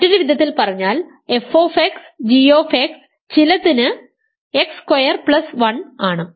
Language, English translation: Malayalam, So, in other words f x times g x is x square plus 1 for some